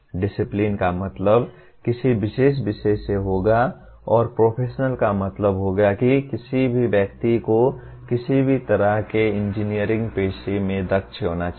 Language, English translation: Hindi, Disciplinary would mean specific to the particular subject and professional would mean the kind of competencies any person should have in any kind of engineering profession